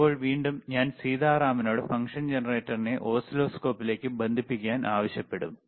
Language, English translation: Malayalam, So now again, I will ask, sSitaram to please connect the function generator to the oscilloscope can you please do that, all right